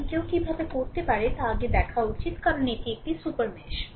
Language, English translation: Bengali, So, how one can do is look before because it is a super mesh